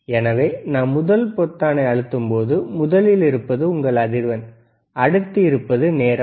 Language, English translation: Tamil, So, when we press the first button, first is your frequency, and another one is your period